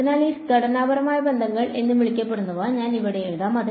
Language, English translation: Malayalam, So, I am writing down these so called constitutive relations over here